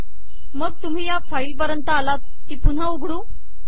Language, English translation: Marathi, Then you come to this file, to re open this file